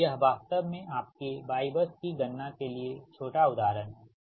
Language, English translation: Hindi, so this is actually small example for your y bus computation right